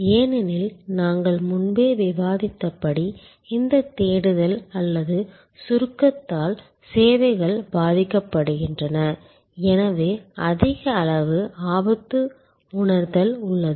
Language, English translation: Tamil, Because, as we have discussed earlier services suffer from this non searchability or abstractness therefore, there is a higher degree of risk perception